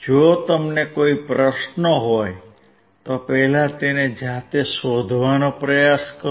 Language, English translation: Gujarati, If you have any questions, first try to find it out yourself